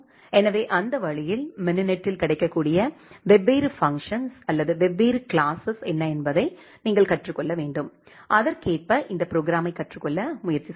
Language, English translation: Tamil, So, that way so, it has it is own construct you have to learn that what are the different functions or different classes which are being available in the mininet and accordingly try to learn this program